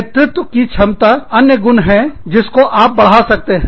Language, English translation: Hindi, Leadership is another thing, that you can enhance